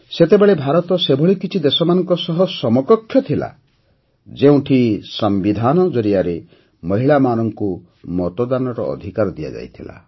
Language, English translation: Odia, During that period, India was one of the countries whose Constitution enabled Voting Rights to women